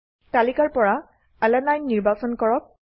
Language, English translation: Assamese, Select Alanine from the list